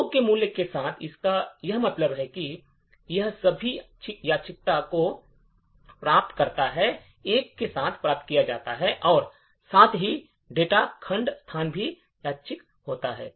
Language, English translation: Hindi, With the value of 2, what it means is that, it achieves all the randomization that is achieved with 1 as well as the data segment location are also randomized